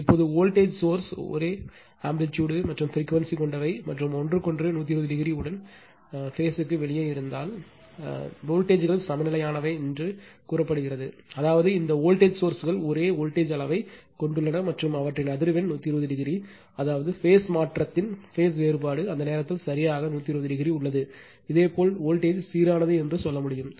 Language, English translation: Tamil, Now, if the voltage sources have the same amplitude and frequency omega and are out of phase with each other by 120 degree, the voltages are said to be balanced that means, this voltage sources have the same voltage magnitude and the frequency at they are 120 degree, I mean phase shift phase difference between there is exactly 120 degree at that time, you can tell the voltage is balanced right